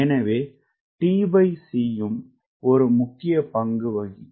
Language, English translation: Tamil, so t by c also will play an important role